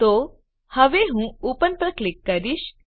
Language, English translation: Gujarati, So, now I will click on Open